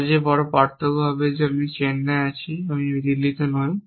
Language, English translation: Bengali, So difference one difference is that I am in Chennai not in Dehradun